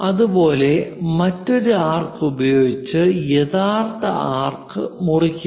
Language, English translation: Malayalam, Similarly, pick an arc; cut the original arc